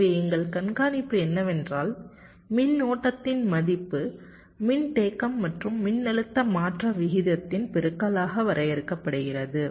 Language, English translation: Tamil, so our observation is: the value of current is defined as the product of the capacitance and the rate of change of voltage